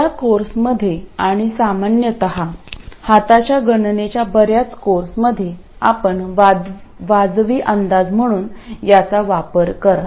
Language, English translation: Marathi, In this course and generally in many courses for hand calculations you will end up using this as a reasonable approximation